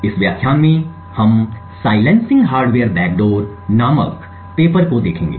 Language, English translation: Hindi, In this lecture we will be looking at this paper called Silencing Hardware Backdoors